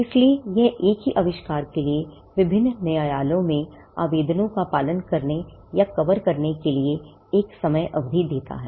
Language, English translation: Hindi, So, this gives a time period, for following up or covering applications in different jurisdictions for the same invention